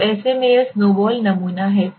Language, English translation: Hindi, So in such a condition this is snowball sampling